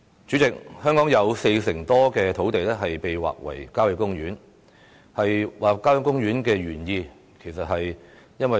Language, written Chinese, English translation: Cantonese, 主席，香港有四成多土地劃為郊野公園，面積為亞洲之冠。, President over 40 % of the land in Hong Kong is designated as country parks the area of which tops Asia